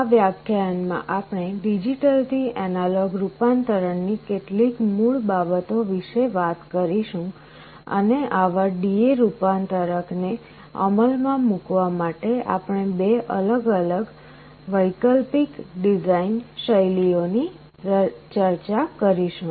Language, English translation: Gujarati, In this lecture we shall be talking about some of the basics of digital to analog conversion and we shall be discussing two different alternate design styles to implement such D/A converters